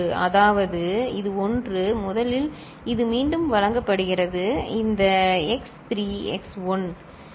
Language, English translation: Tamil, So, this one this one, first one it is fed back, this x 3 x 1